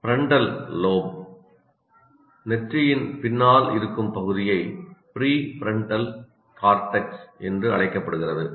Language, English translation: Tamil, Frontal lobe, the part that lying behind the forehead is called prefrontal cortex